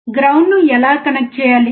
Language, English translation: Telugu, How to connect the ground